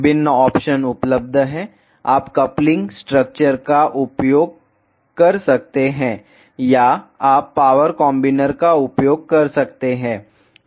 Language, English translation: Hindi, There are various options available; you can use coupling structures or you can use power combiners